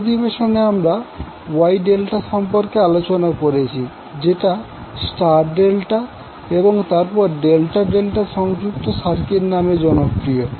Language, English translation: Bengali, In this session we discussed about the Wye Delta that is popularly known as star delta and then delta delta connected circuits